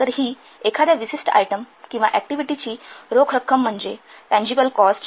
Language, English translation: Marathi, An outlay of the cash for a specific item or activity is referred to as a tangible cost